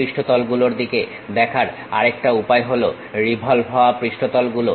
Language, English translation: Bengali, The other way of looking at surfaces is revolved surfaces